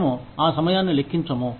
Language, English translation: Telugu, We will not calculate, that time